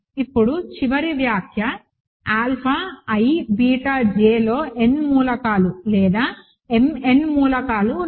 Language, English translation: Telugu, Now, final comment is alpha i beta j has n elements or m n elements